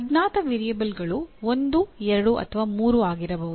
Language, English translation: Kannada, Unknown variables may be one, two, three also